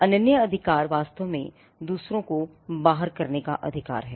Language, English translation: Hindi, The exclusive right is actually a right to exclude others